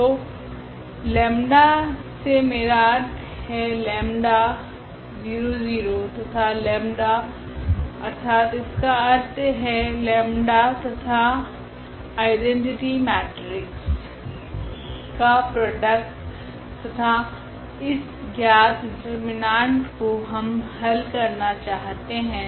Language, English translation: Hindi, So, lambda I means the lambda 0 0 and the lambda that is the product of lambda and this identity matrix and this we want to solve know the determinant here